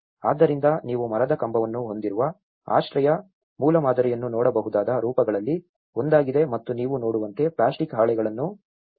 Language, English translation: Kannada, So, that is one of the form which you can see a shelter prototype which has a timber post and as you see plastic sheets has been tied around